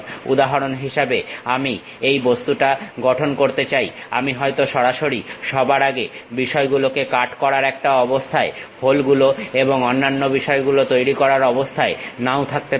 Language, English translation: Bengali, For example, I want to construct this object, I may not be in a portion of a straight away first of all cut the things, make holes and other thing